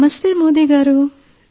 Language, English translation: Telugu, Namastey Modi ji